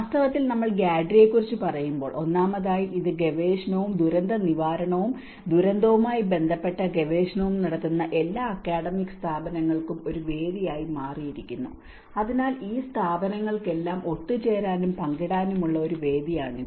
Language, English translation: Malayalam, In fact, when we talk about the GADRI, first of all this has become a platform for all the academic institutes who are doing the research and disaster recovery and disaster related research, so it is a platform for all these institutes to come together and share the knowledge and inform the policy practice and also the theory